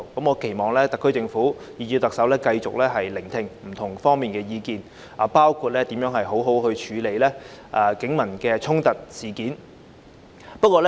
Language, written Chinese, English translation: Cantonese, 我期望特區政府及特首繼續聆聽不同方面的意見，包括如何妥善處理警民衝突。, I hope that the Government and the Chief Executive will continue to listen to the views of various parties on among others how to properly handle confrontations between the Police and the public